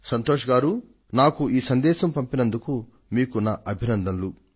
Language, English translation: Telugu, Santoshji, I would like to thank you for sending me this message